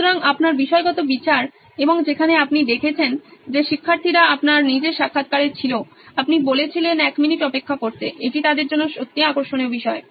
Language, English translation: Bengali, So your subjective judgment and where you saw that students were in your own interviews you said wait a minute, this is really interesting ones for them